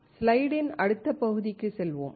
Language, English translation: Tamil, Let us go to the next part of the slide